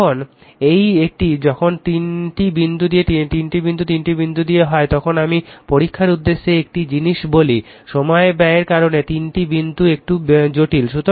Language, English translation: Bengali, Now this one, when 3 dots are 3 dots let me tell you one thing for the exam purpose, 3 dots are little bit heavy because of time consumption right